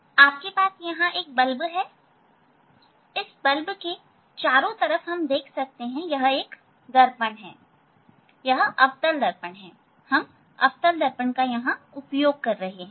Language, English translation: Hindi, You have a bulb here, inside you have bulb, and surrounding this bulb we can see this the, it is the mirror, it is the concave mirror, concave mirror we are using concave mirror